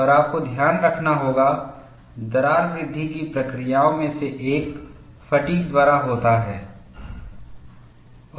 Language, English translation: Hindi, And you have to keep in mind, one of the mechanisms of crack growth is by fatigue